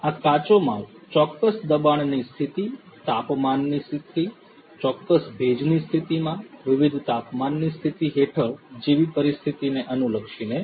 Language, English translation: Gujarati, These raw materials are going to be subjected through different pressure, under certain pressure condition, temperature condition, in certain humidity condition and so on